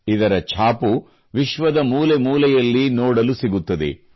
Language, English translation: Kannada, You will find its mark in every corner of the world